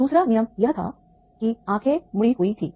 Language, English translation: Hindi, Second rule was that is the eyes were folded blinds